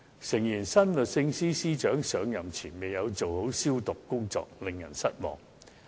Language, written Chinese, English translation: Cantonese, 誠然，新律政司司長上任前未有做好"消毒"工作，令人失望。, It is true that the new Secretary for Justice had not properly purified before taking office which was rather disappointing